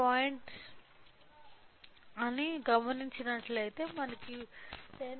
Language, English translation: Telugu, 04 I am getting output of 10